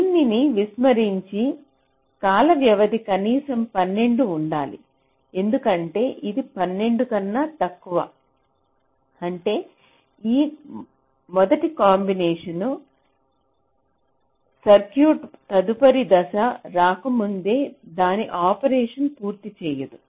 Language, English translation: Telugu, ok, so, ignoring this, the time period should be at least twelve, because if it is less than twelve, then this first set of combination circuit will not finish its separation before the next stage comes